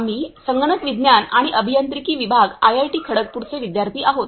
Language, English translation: Marathi, We are from Computer Science and Engineering department IIT, Kharagpur